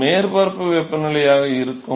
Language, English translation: Tamil, So, that will be the surface temperature